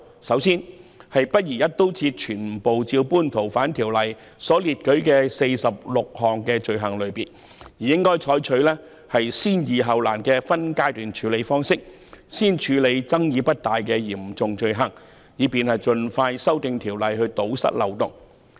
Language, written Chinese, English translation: Cantonese, 首先，不宜一刀切，全部照搬《逃犯條例》列舉的46項罪類，應採取"先易後難"的分階段處理方式，先處理爭議不大的嚴重罪行，以便盡快修訂法例來堵塞漏洞。, First of all it is inappropriate to copy all the 46 items of offences listed in the Fugitive Offenders Ordinance . We should adopt the phased approach of resolving the simple issues before the difficult ones and deal with serious offences that are not very controversial first so as to expedite the legislative amendments to plug the loopholes